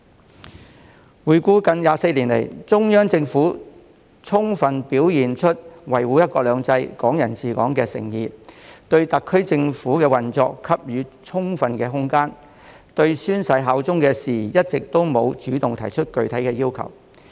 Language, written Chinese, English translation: Cantonese, 回顧回歸近24年來，中央政府充分表現出維護"一國兩制"、"港人治港"的誠意，對特區政府的運作給予充分的空間，一直沒有主動就宣誓效忠的事宜提出具體要求。, For the past nearly 24 years since the return of sovereignty the Central Government has fully demonstrated its sincerity in upholding one country two systems and Hong Kong people administering Hong Kong and giving adequate room for the operation of the SAR Government . All along the Central Government has not taken any initiative to propose specific requirements on swearing allegiance